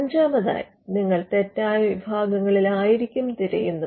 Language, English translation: Malayalam, Fifthly, you could be searching in the wrong classes